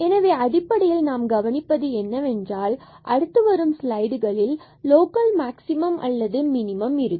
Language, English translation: Tamil, So, basically what we will observe now in the next slides that if the local maximum or minimum exists